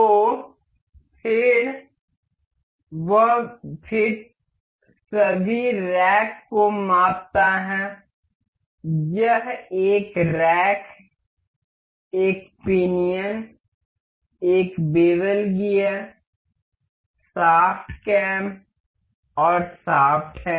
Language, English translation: Hindi, So, that fit mount all the racks this is rack a pinion a bevel gear shaft cam and shaft